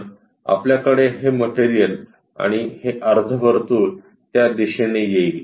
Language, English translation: Marathi, So, we will have this material comes and semi circle comes in that direction